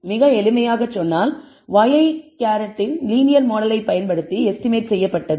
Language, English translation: Tamil, Very simple, y i hat was estimated using the linear model